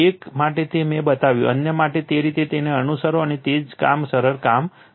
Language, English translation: Gujarati, One I showed it for you, one I showed it for you other you follow it and do the same thing the simple thing